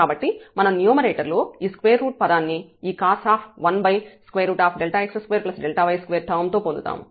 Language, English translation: Telugu, So, we will get in the numerator this is square root term with this cos 1 over this term